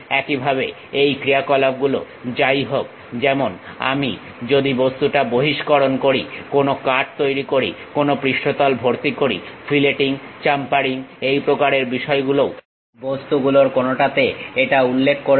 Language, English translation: Bengali, Similarly, whatever the operations like whether I am extruding the object, making a cut, fill filling some surface, filleting, chamfering this kind of things are also some of the objects it will mention